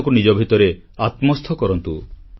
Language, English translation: Odia, Internalize India within yourselves